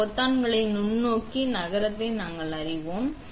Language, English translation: Tamil, We know that these buttons move the microscope